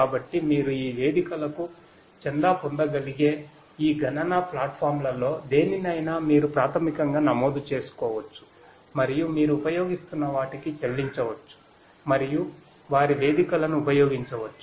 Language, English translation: Telugu, So, you could subscribe you could basically register yourself to any of these computational platforms you could subscribe to these platforms pay for whatever you are using and could use their platforms